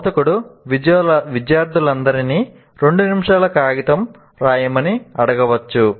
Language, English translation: Telugu, The instructor can ask all the students to write for two minutes a paper